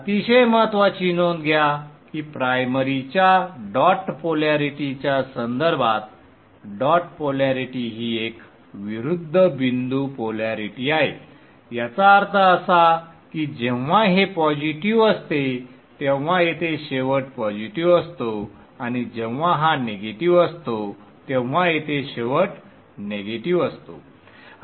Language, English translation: Marathi, Very important note the dot polarity it is an opposite dot polarity with respect to the primaries dot polarity which means that even this is positive the end here is positive and when this is negative the end here is negative